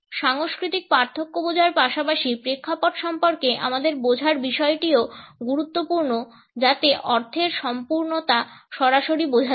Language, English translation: Bengali, In addition to understanding the cultural differences our understanding of the context is also important so that the totality of the meaning can be directly understood